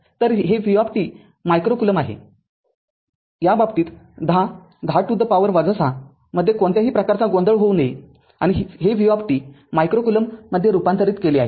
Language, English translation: Marathi, So, v t micro coulomb right, there should not be any confusion in case 10, 10 to the power minus 6 and converted this v t micro coulomb right